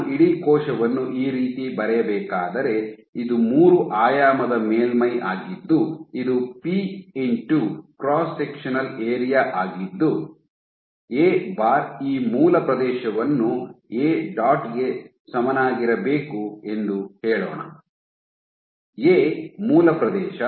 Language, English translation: Kannada, So, if I were to draw the whole cell in this way, this is a three dimensional surface then p into this cross sectional area; let us say A bar must be equal to t dot this base area A b; A base